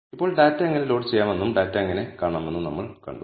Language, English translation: Malayalam, Now, we have seen how to load the data and how to view the data